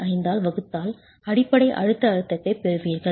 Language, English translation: Tamil, 25, you get the basic compressive stress